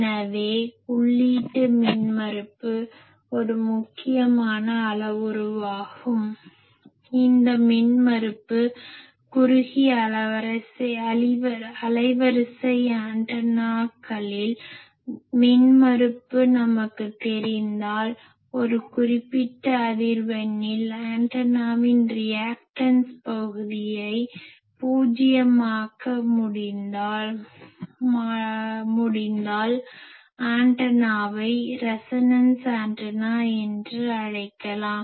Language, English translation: Tamil, So, input impedance is a very important parameter we will see that, this impedance actually the narrow band antennas for them, if we know the impedance and, if we can make the reactive part of the antenna at a particular frequency is zero, then that antenna can be called as a resonating antenna actually that is the practice in dipole etc